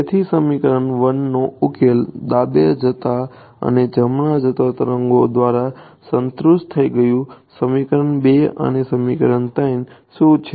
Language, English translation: Gujarati, So, equation 1 was satisfied by both the solutions left going and right going wave right what about equations 2 and equations 3